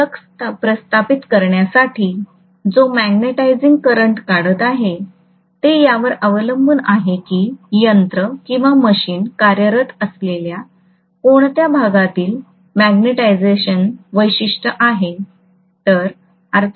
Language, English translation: Marathi, And this magnetising current what I am drawing to establish the flux depends heavily upon in what portion of magnetisation characteristic I am working on or the machine is working on